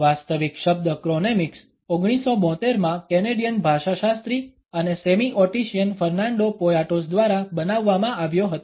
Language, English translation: Gujarati, The actual term chronemics was coined in 1972 by Fernando Poyatos, a Canadian linguist and semiotician